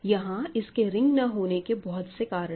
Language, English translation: Hindi, There are several reasons why it is not a ring